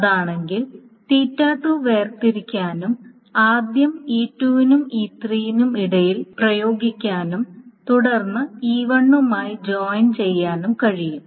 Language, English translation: Malayalam, If that is the thing, then theta 2 can be separated and theta 2 can be applied first between E2 and E3, and then it can be joined with E1